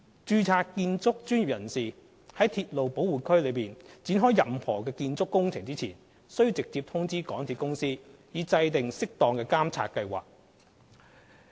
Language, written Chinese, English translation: Cantonese, 註冊建築專業人士在鐵路保護區內展開任何建築工程前，須直接通知港鐵公司，以制訂適當的監察計劃。, The registered building professionals are also required to inform MTRCL direct before the commencement of any building works to enable the formulation of appropriate monitoring plan